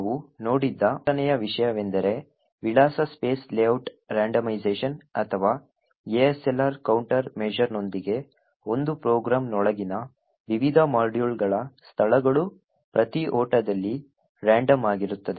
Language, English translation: Kannada, The third thing that we also looked at was address space layout randomization or ASLR with this a countermeasure, what was possible was that the locations of the various modules within a particular program is randomized at each run